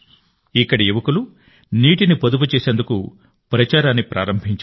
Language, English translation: Telugu, The youth here have started a campaign to save water